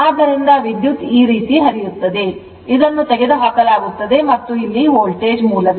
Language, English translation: Kannada, So, current will flow like this , this is you remove and this Voltage source is there right